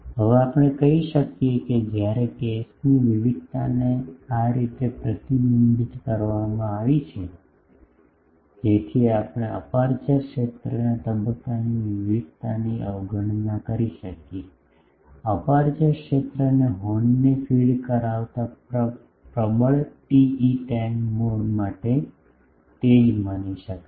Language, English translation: Gujarati, Now we can say that, when the case variation is restricted in this manner the so, that we can neglect the phase variation in aperture field, the aperture field may be assumed to the same as that for dominant TE10 mode feeding the horn